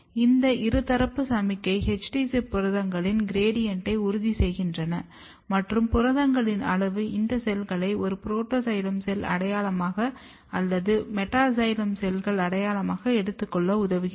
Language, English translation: Tamil, And this bidirectional signaling ensures a gradient of HD ZIP proteins and the amount of proteins helps in taking this cells as a protoxylem cell identity, this cell as a metaxylem cells identity